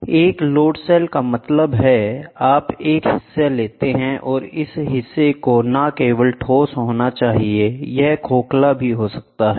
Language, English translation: Hindi, So, a load cell means, you take a member and this number need not be only solid; it can be also hollow